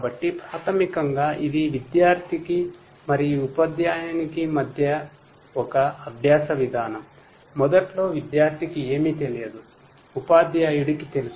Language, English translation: Telugu, So, basically it is a learning kind of mechanism between the student and the teacher initially the student does not know anything, teacher knows